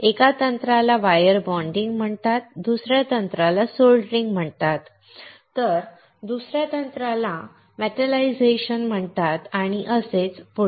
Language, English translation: Marathi, One of the techniques is called wire bonding, other technique is soldering another technique is called metallization and so on and so forth